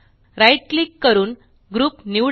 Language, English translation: Marathi, Right click and select Group